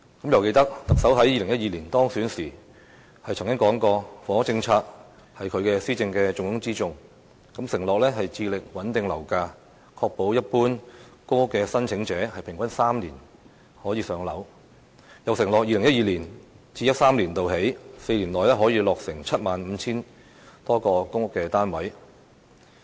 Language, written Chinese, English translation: Cantonese, 猶記得特首在2012年當選時曾經說過，房屋政策是他施政的重中之重，承諾穩定樓價、確保一般公屋申請者平均3年可以"上樓"，又承諾自 2012-2013 年度起的4年內可以落成 75,000 多個公屋單位。, As I can still remember the Chief Executive said that the housing policy was a top priority in his administration when he won the election in 2012 . He promised that he would stabilize property prices and ensure that general public housing applicants could receive public housing allocation in three years on average . He likewise assured us that some 75 000 public housing units would be built within the four years starting from 2012 - 2013